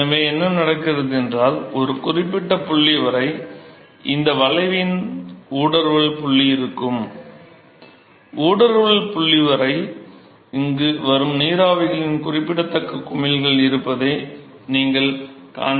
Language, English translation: Tamil, So, what happens is, till a certain point, there will be a inflection point of this curve ok So, till the inflection point, you will see the there will be significant bubbling of the vapors which will come here